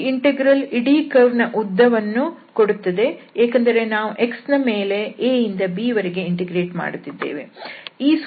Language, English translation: Kannada, So, this will be the integral which can give us this arc length of the whole curve because we are integrating over x from a to b